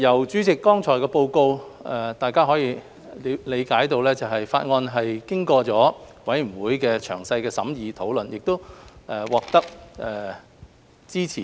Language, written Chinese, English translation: Cantonese, 主席，由剛才的報告，大家可以理解《條例草案》經過了委員會詳細的審議和討論，並獲得支持。, President from the Bills Committees report a moment ago we can understand that the Bill has been scrutinized and discussed by them in detail and has gained their support